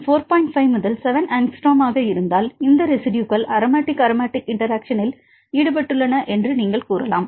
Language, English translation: Tamil, 5 to 7 angstrom, then you can say these residues are involved in the aromatic aromatic interactions